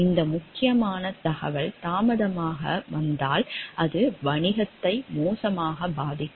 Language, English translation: Tamil, And if this crucial information gets like late then it may adversely affect the business